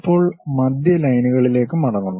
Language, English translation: Malayalam, Now coming back to center lines